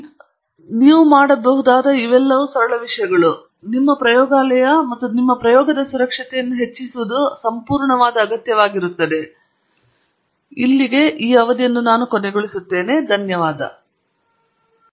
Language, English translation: Kannada, So, this is a very simple thing that you can do, but greatly enhances the safety of your laboratory and your experiment and it is an absolute must; you should not have a gas bottle which is not secured in your lab